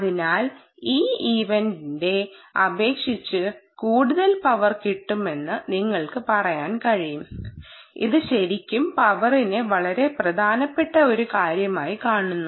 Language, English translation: Malayalam, therefore, you can say this was much more power consuming as compared to this event based, which is really looking at power as a very important thing